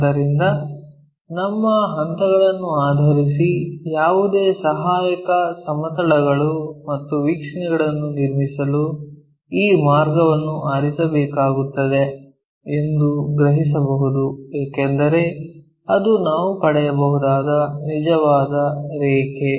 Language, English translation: Kannada, So, based on our steps, we can sense that this line we have to pick for constructing any auxiliary planes and views because that is the true line what we can get